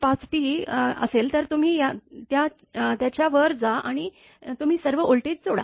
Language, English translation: Marathi, 5 T, from that you go above that right and you add all the voltages